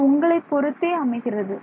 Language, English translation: Tamil, So, depending on your